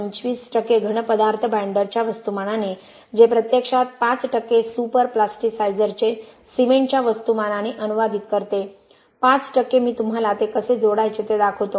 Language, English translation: Marathi, 25 percentage of solids by mass of binder which actually translates to about 5 percent of super plasticizer by mass of cement, 5 percent I will show you how to add that also